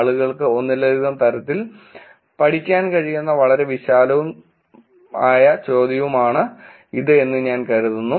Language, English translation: Malayalam, I think this is a very broad and question that people could study in multiple ways